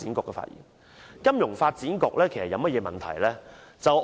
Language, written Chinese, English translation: Cantonese, 其實金發局有甚麼問題？, What are the problems with FSDC?